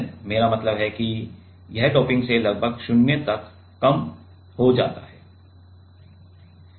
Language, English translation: Hindi, I mean it reduce to almost 0 by doping